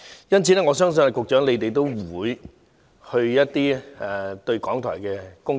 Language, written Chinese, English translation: Cantonese, 因此，我相信局長不會否定需要檢討港台的工作。, Therefore I believe that the Secretary will not deny the need to review the work of RTHK